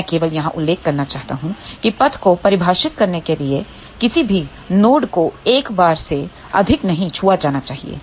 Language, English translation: Hindi, I just want to mention here that in to define the path, no node should be touched more than once ok